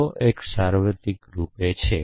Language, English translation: Gujarati, So, if x is universally quantified